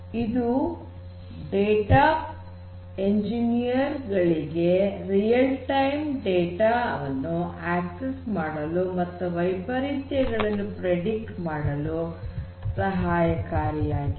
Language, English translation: Kannada, So, they help the oil and gas engineers to access real time data and predict anomalies